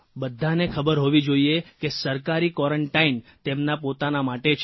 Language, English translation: Gujarati, Everyone should know that government quarantine is for their sake; for their families